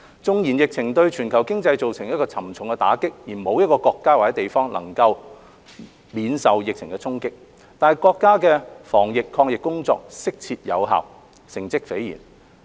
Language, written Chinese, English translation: Cantonese, 縱然疫情對全球經濟造成沉重打擊，沒有一個國家或地方能免受疫情沖擊，但國家的防疫抗疫工作適切有效，成績斐然。, The world economy has been hard hit by the pandemic sparing no country or place . However the countrys efforts in disease control and prevention have been proper and effective and have yielded remarkable results